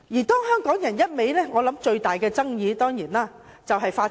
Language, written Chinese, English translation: Cantonese, 當香港人一味......我想，最大的爭議當然是法治。, When Hong Kong people keep I think the biggest dispute is certainly about the rule of law